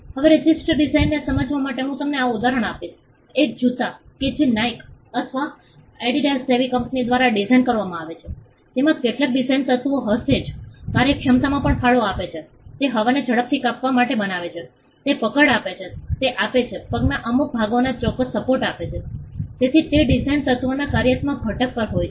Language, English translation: Gujarati, Now to understand a register design I will give you this example, a shoe that is designed by a company like Nike or Adidas will have certain design elements which also contribute to the functionality, it makes it cut the air faster it grows it grip it gives certain support in certain parts of the foot, so those design elements have also a functional component